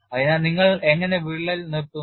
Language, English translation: Malayalam, So, how do you stop the crack